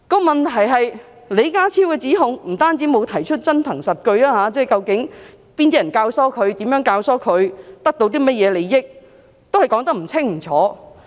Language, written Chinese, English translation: Cantonese, 問題是李家超作出指控時並沒有提出真憑實據，被問及究竟是哪些人教唆年輕人，如何教唆年輕人，得到甚麼利益，他們卻說得不清不楚。, The problem is that when John LEE made such accusations he had not given any concrete evidence . When asked who had incited young people how they had incited young people and what benefits they could gain John LEE and Chris TANG could not give specific answers